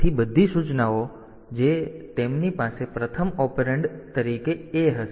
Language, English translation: Gujarati, So all instructions so they will have A as the as the first operand